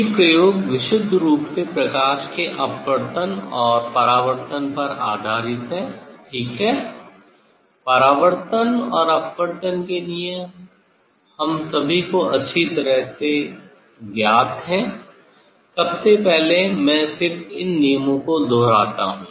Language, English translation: Hindi, these experiment is based on purely refraction and reflection of light, ok reflection and refraction laws of reflection laws of refraction are well known to all of us buts just I repeat those laws